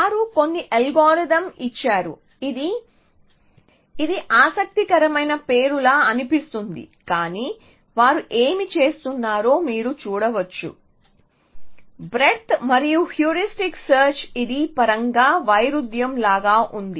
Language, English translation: Telugu, They give some idea some which is called sounds like a curious name, but you can see what they are doing breadth first heuristic search it is it is sound like contradiction in terms